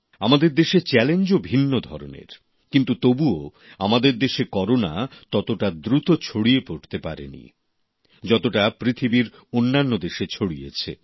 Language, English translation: Bengali, The challenges facing the country too are of a different kind, yet Corona did not spread as fast as it did in other countries of the world